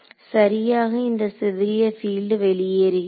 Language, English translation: Tamil, So, exactly this scattered field is outgoing right